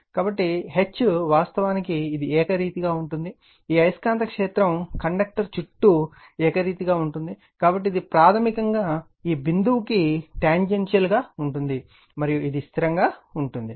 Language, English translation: Telugu, So, then H actually it is uniform this magnetic field is uniform around the conductor, so, it is basically tangential to this point, and it remains constant right